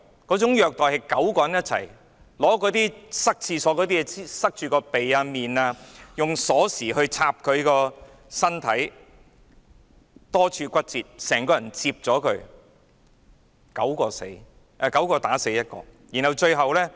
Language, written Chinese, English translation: Cantonese, 該9個人用廁所用具塞着他的鼻及臉，又用鎖匙插他的身體，導致多處骨折，整個人被摺疊，結果9人打死1人。, Those nine men used toilet utensils to cover his nostrils and face and stabbed his body with keys . He suffered bone fractures in various places and the entire body was folded up . As a result those nine people together killed one person